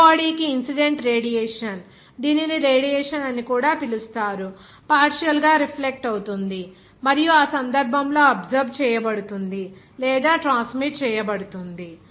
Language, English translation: Telugu, For the gray body, the incident radiation, it is also called as irradiation, is partly reflected and in that case absorbed or transmitted